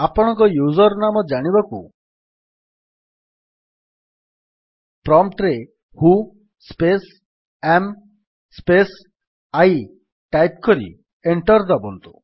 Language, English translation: Odia, To know what is your username, type at the prompt: who space am space I and press Enter